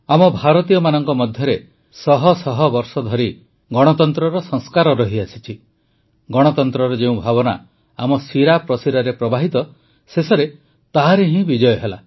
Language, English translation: Odia, For us, the people of India, the sanskars of democracy which we have been carrying on for centuries; the democratic spirit which is in our veins, finally won